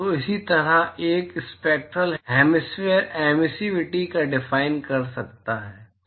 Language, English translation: Hindi, So, similarly one could define a spectral hemispherical emissivity